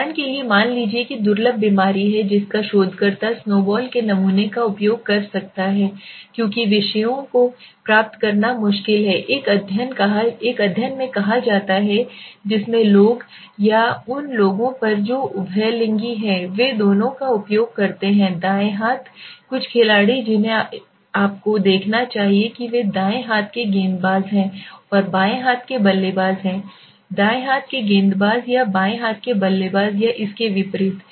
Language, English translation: Hindi, Suppose for example there is the rare disease the researcher might use snowball sampling because it is difficult to obtain the subjects, suppose there is rare disease, there is something called a study in which people or on those people who are ambidextrous is use they use both the hands right, some players you must see they are right handed bowlers, and the left hand batsman sorry right handed bowlers or left handed batsman or vice versa